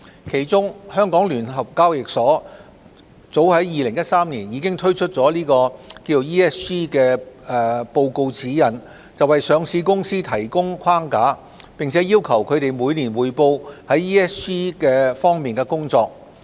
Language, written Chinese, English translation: Cantonese, 其中，香港聯合交易所早在2013年已推出了《環境、社會及管治報告指引》，為上市公司提供框架，並要求它們每年匯報在 ESG 方面的工作。, Among them the Stock Exchange of Hong Kong SEHK published the Environmental Social and Governance Reporting Guide as early as in 2013 to provide a reporting framework for listed companies and to require them to report on their work in ESG aspects annually